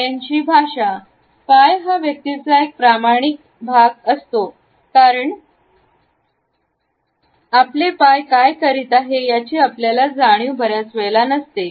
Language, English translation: Marathi, Feet language; feet are those honest part of the person because we are not always aware of what our feet are doing